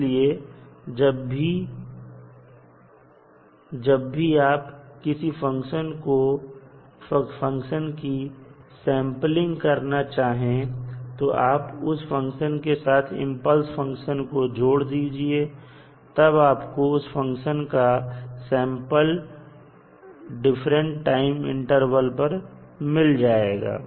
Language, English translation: Hindi, So, when you want to sample a particular function, you will associate the impulse function with that function at multiple intervals then you get the sample of that function at various time intervals